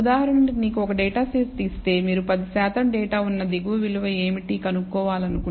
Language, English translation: Telugu, For example, if you want to find given a data set, what is the value below which 10 percent of the data lies, maybe minus 1